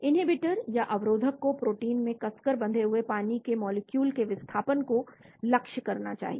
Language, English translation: Hindi, The inhibitor should target the displacement of water molecules tightly bound to the protein